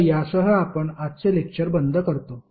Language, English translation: Marathi, So with this we close todays session